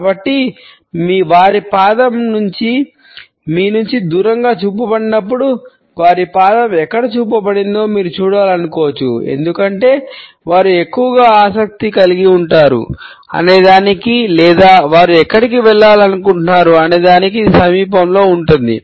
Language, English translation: Telugu, So, when their foot is pointed away from you; you might want to look where their foot is pointed because they are most likely it is in the general vicinity of what they are interested in or where they want to go